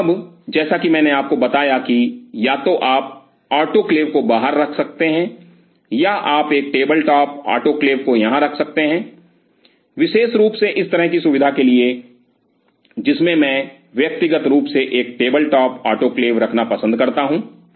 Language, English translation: Hindi, So, now, as I told you that either you can keep the autoclave outside or you can keep a table top autoclave somewhere out here, especially for this kind of facility which I personally prefer a table top autoclave